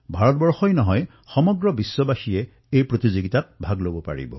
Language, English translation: Assamese, Not only Indians, but people from all over the world can participate in this competition